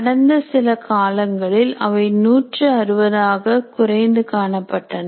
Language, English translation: Tamil, And in the recent past, they are coming back to around 160